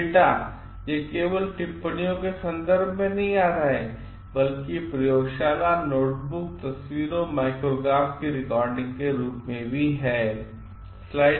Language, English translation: Hindi, So, data it is not just coming in terms of observations, it is in forms of recordings in laboratory, notebooks, photographs, micrographs